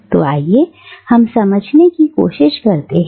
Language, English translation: Hindi, So let us try and understand